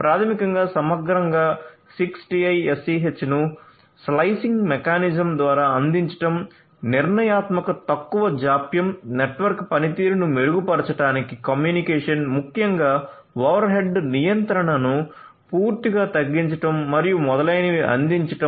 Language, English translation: Telugu, So, basically holistically one is going to have software defined 6TiSCH providing through the slicing mechanism, providing deterministic low latency, communication for improving the performance of the network, particularly from a control overall reduction of control over head and so on